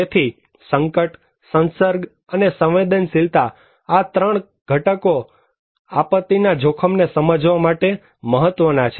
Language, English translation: Gujarati, So, hazard, exposure and vulnerability these 3 components are important to understand disaster risk